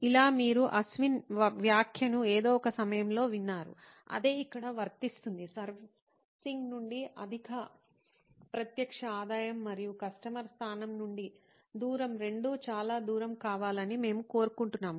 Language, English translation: Telugu, Like, you heard Ashwin comment at some point of time, the same applies here, is we want both high direct revenue from servicing as well as distance from customer location to be far